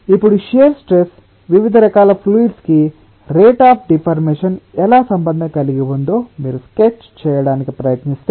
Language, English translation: Telugu, now, if you try to make a sketch of how the shear stress relates with the rate of deformation for different types of fluids, let us take some examples